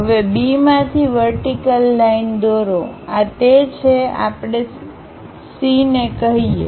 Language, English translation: Gujarati, Now from B drop a vertical line, that is this one let us call C